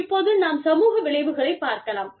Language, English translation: Tamil, Now, the social effects